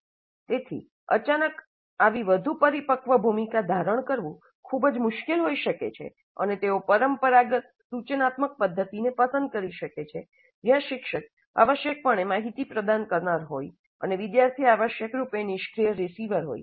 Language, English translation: Gujarati, So it may be very difficult to suddenly assume such a more mature role and they may prefer a traditional instructional mode where the teacher is essentially a provider of information and the student is essentially a receiver, a passive receiver